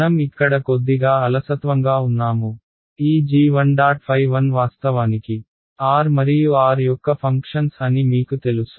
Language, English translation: Telugu, I am being a little sloppy here you know that all of these guys g 1 phi 1 all of these guys actually functions of r and r prime ok